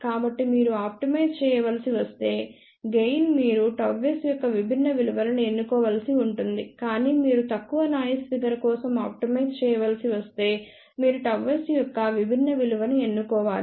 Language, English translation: Telugu, So, if you have to optimize the gain you may have to choose different value of gamma s, but if you have to optimize for low noise figure then you have to choose different value of gamma s